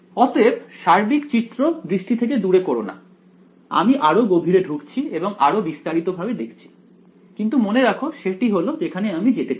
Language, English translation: Bengali, So, do not lose sight of the overall picture right we are zooming in and in more and more into details, but remember that is what we want to get at